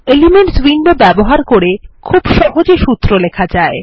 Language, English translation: Bengali, Using the Elements window is a very easy method of writing a formula